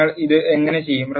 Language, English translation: Malayalam, How do you do this